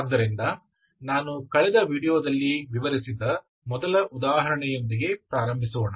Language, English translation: Kannada, So to start with the 1st example which i explained in the last video